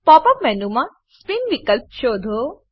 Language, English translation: Gujarati, Explore the Spin option in the Pop up menu